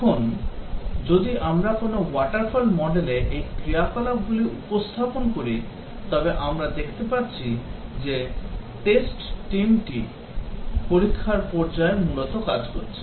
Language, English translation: Bengali, Now, if we represent these activities on a water fall model we can see that, the test team is largely working during the testing phase